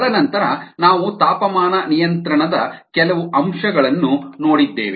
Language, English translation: Kannada, then we looked at some aspects of temperature control